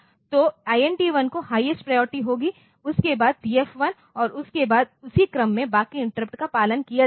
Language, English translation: Hindi, So, INT 1 will have the highest priority followed by TF1 and then that will be followed by rest of the interrupts in the same order